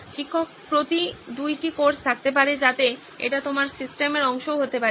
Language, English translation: Bengali, Maybe there is two courses per teacher, so that could also be part of your system